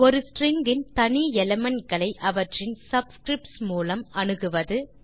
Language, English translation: Tamil, Access individual elements of the string by using their subscripts